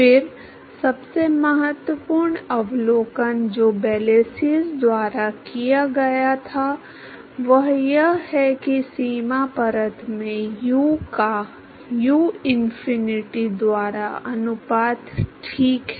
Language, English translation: Hindi, Then, the most important observation that was made by Blasius is that the ratio of u by uinfinity in the boundary layer, ok